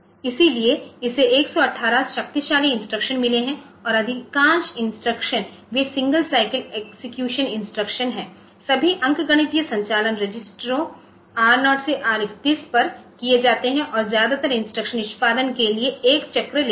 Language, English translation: Hindi, got hundred 18 powerful instructions and most of the instructions they are single cycle execution instruction all arithmetic operations are done on registers R0 to R31 and mostly instructions take on once per cycle for execution